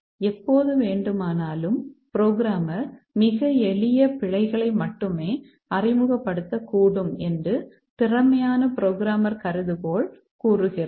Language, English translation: Tamil, The competent programmer hypothesis says that at any time the programmer may introduce only very simple bugs